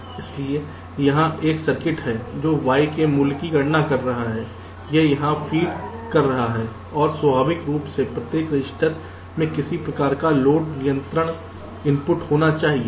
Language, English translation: Hindi, so there is a circuit which is calculating the value of y and it is feeding here, and naturally, with each register, there has to be a some kind of a load control input